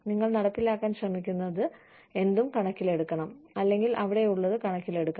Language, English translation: Malayalam, You know, whatever you are trying to, or whatever you are trying to implement, should be taking into account, whatever is there